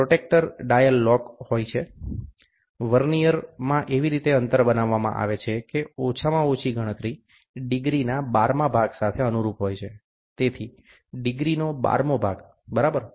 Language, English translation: Gujarati, The protractor dial may be locked, the spacing in the Vernier is made, in such a way that at least the least count corresponds to 1 10th of degree 1 12th of degree, so 1 12th of degree, ok